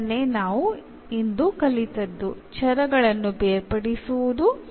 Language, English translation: Kannada, So, this is what we have learnt today, the separable of variables